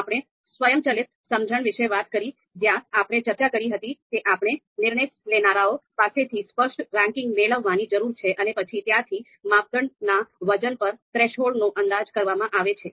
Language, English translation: Gujarati, We talked about the automatic elicitation and where we talked about that we need to get a clear ranking from the decision makers and then the criteria weights and threshold are actually inferred from there